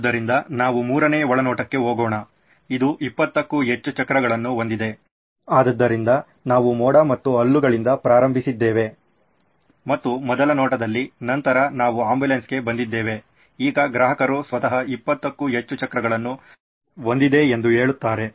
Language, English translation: Kannada, So let us go on to the third insight, it has more than 20 wheels oops, so we started with cloud and teeth maybe and all that in the first insight, then we came to ambulance now the customer himself says it has more than 20 wheels